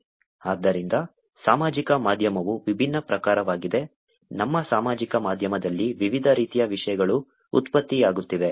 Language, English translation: Kannada, So, social media is of different types, different types of contents are getting generated on our social media